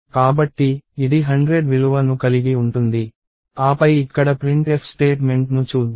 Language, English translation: Telugu, So, this will contain the value 100, and then let us look at the printf statement here